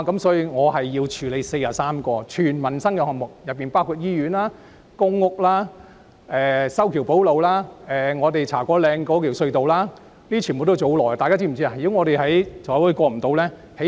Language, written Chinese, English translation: Cantonese, 所以，我需要處理43項全部關乎民生的項目，當中包括醫院、公屋、修橋補路和茶果嶺隧道等，全部都是很花時間的項目。, Hence I need to process 43 projects including hospitals public rental housing repairs to bridges and roads the Cha Kwo Ling Tunnel etc which are all related to peoples livelihood and time - consuming in implementation